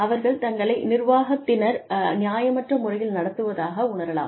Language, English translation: Tamil, Employees may feel that, they are being treated unfairly